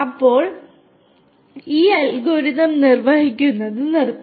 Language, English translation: Malayalam, So, that is when this algorithm will stop you know execution